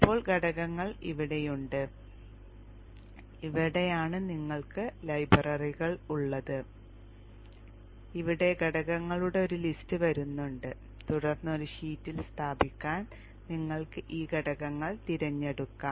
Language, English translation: Malayalam, Now here is the components and this is where you have the libraries where a list of components coming here and then you can choose this components to place onto the sheet